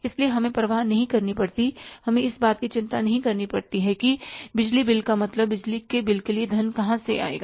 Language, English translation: Hindi, So we should not care, we should not worry about from where the electricity bill means means the funds for the electricity bill will come